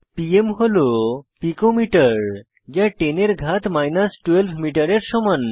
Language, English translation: Bengali, pm is pico metre= 10 to the power of minus 12 metres